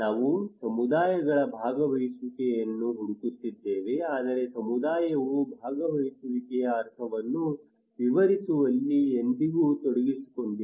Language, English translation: Kannada, What is missing is that we are seeking communities participations but community had never been involved in defining what is the meaning of participations